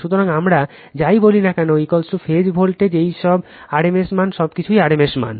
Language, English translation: Bengali, So, whatever we say V p is the phase voltage these are all rms value right, everything is rms value